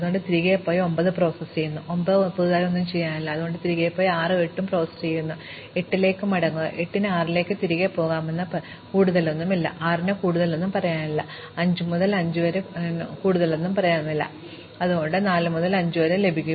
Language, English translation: Malayalam, So, we go back and process 9; 9 has no more new things to say, because 9 the other neighbours are 6 and 8 which are already done, we go back to 8, 8 has nothing more to say so we go back to 6, 6 has nothing more to say so we go back to 5, 5 has nothing more to say so we go back to 4, now when we started this whole exploration you did it by 4 to 5